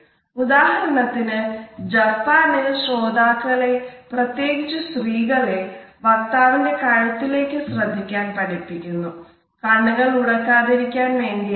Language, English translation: Malayalam, For example, in Japan listeners particularly women are taught to focus on a speaker’s neck in order to avoid eye contact